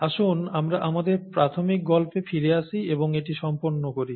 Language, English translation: Bengali, So let’s come back to our initial story and finish up there